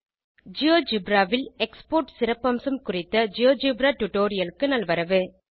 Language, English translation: Tamil, Welcome to this Geogebra tutorial on the Export feature in GeoGebra